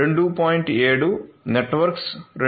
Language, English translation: Telugu, 7, Network x 2